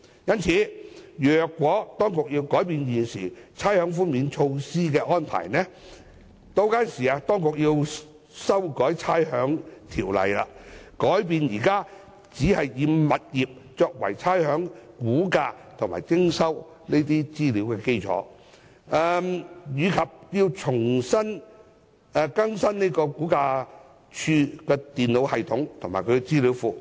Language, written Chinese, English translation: Cantonese, 因此，如果當局要改變現時差餉寬免措施的安排，便需要修改《差餉條例》，改變現時只是以物業作為差餉估價及徵收資料的基礎，並要更新差餉物業估價署的電腦系統及資料庫。, For this reason if the Government is to change the current arrangements for rates concession it will need to change the valuation and collection of rates based on tenements and also update the computer system and database of RVD